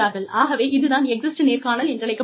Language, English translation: Tamil, And, that is called the exit interview